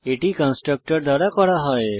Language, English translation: Bengali, This work is done by the constructor